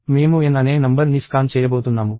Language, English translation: Telugu, I am going to scan a number called n